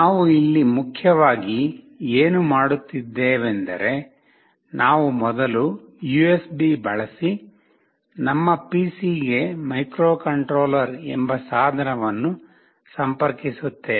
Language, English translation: Kannada, What we are essentially doing here is that we will connect first the device, the microcontroller, using the USB to our PC